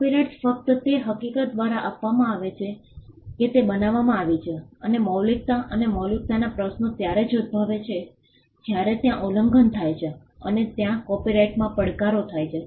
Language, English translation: Gujarati, Copyrights are granted by the mere fact that they are created and originality questions on originality would arise only when there is an infringement and there are challenges made to the copyright